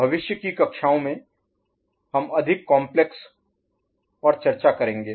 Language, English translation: Hindi, In future classes we shall have discussion on more complex circuit